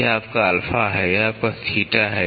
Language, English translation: Hindi, This is your alpha, this is your theta